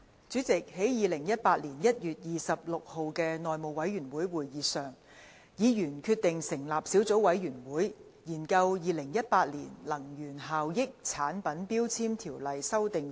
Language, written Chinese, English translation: Cantonese, 主席，在2018年1月26日的內務委員會會議上，委員決定成立小組委員會，研究《2018年能源效益條例令》。, President at the House Committee meeting on 26 January 2018 members decided to form a Subcommittee to study the Energy Efficiency Ordinance Order 2018